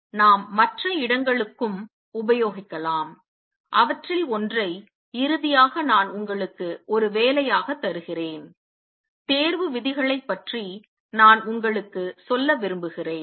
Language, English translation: Tamil, Similarly, we can apply to other places also and one of those, I will give you as an assignment problem finally; I also like to tell you about selection rules